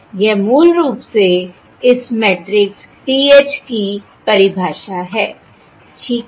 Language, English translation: Hindi, That is basically the definition of this matrix PH